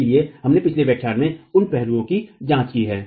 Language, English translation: Hindi, So, we have examined those aspects in the previous lecture